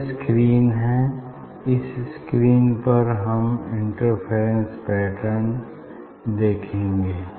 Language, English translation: Hindi, this is the screen, this is the screen on the screen you will see the interference pattern fringe